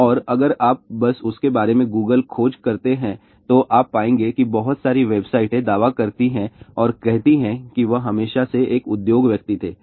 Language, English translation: Hindi, And if you just Google search about him you will find that there are lots of websites claiming and saying that he was always an industry person